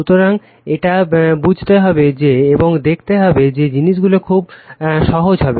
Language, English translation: Bengali, So, and we have to understand that, and we will find things are very easy